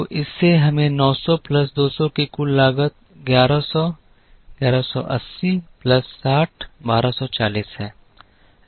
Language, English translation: Hindi, So, this gives us a total cost of 900 plus 200 is 1100, 1180 plus 60 is 1240